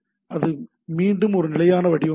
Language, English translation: Tamil, This is again very a standard format